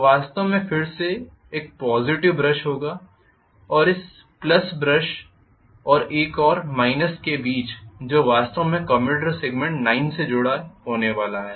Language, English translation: Hindi, Which will be actually a positive brush again,ok and between this plus and another minus which is going to be connected actually in commutator segment number 9